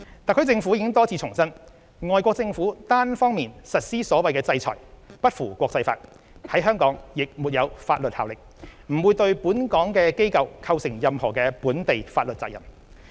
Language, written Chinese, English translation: Cantonese, 特區政府已多次重申，外國政府單方面實施所謂"制裁"不符國際法，在香港亦沒有法律效力，不會對本港機構構成任何本地法律責任。, The HKSAR Government has repeated on many occasions that the so - called sanctions unilaterally imposed by foreign governments do not conform to international laws and have no legal status in Hong Kong . The so - called sanctions do not create any legal obligations on institutions operating in Hong Kong